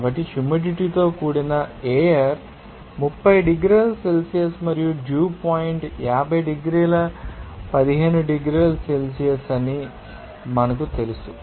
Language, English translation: Telugu, So, we know that humid air is at 30 degrees Celsius and dew point of 50 degree 15 degrees Celsius